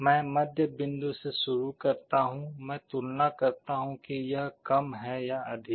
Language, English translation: Hindi, I start with the middle point, I compare whether it is less or greater